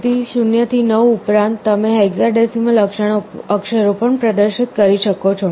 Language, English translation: Gujarati, So, in addition to 0 to 9, you can also display the hexadecimal characters